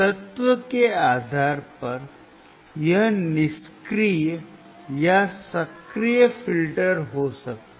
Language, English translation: Hindi, Depending on the element, it can be passive or active filter